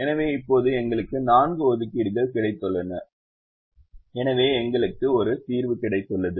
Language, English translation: Tamil, so now we have got four assignments and therefore we have got a solution